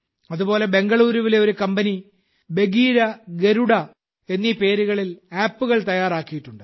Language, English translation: Malayalam, Similarly, a Bengaluru company has prepared an app named 'Bagheera' and 'Garuda'